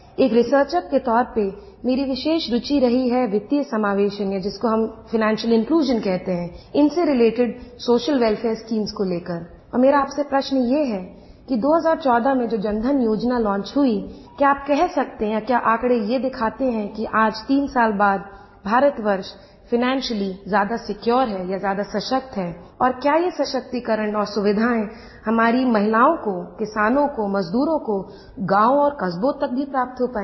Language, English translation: Hindi, With reference to the social schemes related to Financial Inclusion, my question to you is In the backdrop of the Jan DhanYojna launched in 2014, can you say that, do the statistics show that today, three years later, India is financially more secure and stronger, and whether this empowerment and benefits have percolated down to our women, farmers and workers, in villages and small towns